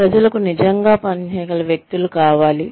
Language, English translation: Telugu, People, need people, who can really work